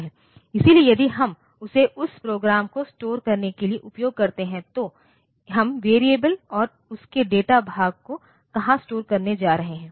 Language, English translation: Hindi, So, if we use that for storing the program then where are we going to store the variable and the data part of it